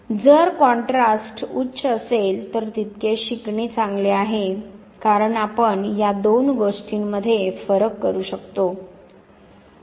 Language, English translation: Marathi, So, the higher is the contrast the better is the learning because you can distinguish two things